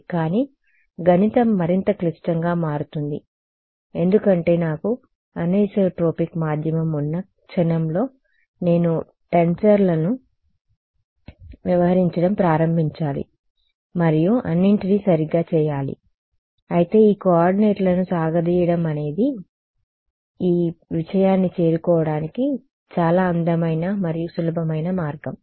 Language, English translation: Telugu, But the math becomes more complicated because the moment I have anisotropic medium then I have to start dealing with tensors and all of that right, but this coordinates stretching is a very beautiful and simple way of arriving at this thing ok